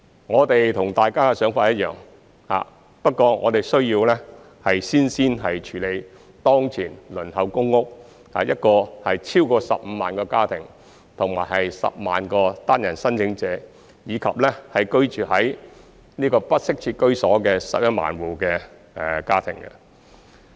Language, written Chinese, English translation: Cantonese, 我們和大家的想法一樣，不過我們需要先處理當前輪候公屋的超過15萬個家庭、10萬個單身申請者，以及居於不適切居所的11萬戶家庭。, We share Members views but we need to first deal with the more than 150 000 families currently on the PRH waiting list 100 000 singleton applicants and 110 000 households living in inadequate housing